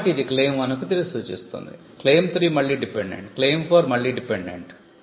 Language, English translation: Telugu, So, it refers it back to claim 1, claim 3 is again dependent, claim 4 is again dependent